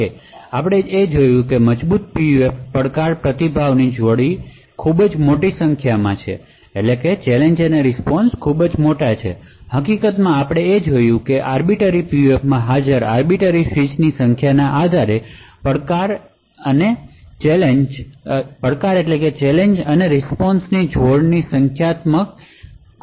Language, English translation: Gujarati, Now strong PUFs as we have seen has huge number of challenge response pairs, in fact we have seen that there is exponential number of challenge response pairs based on the number of arbiter switches present in the Arbiter PUF